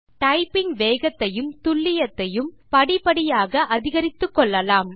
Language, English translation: Tamil, You can gradually increase your typing speed and along with it, your accuracy